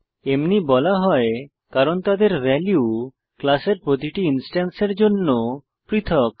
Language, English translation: Bengali, Instance fields are called so because their values are unique to each instance of a class